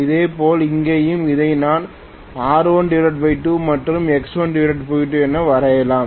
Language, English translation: Tamil, I can very well draw this also as R1 and X1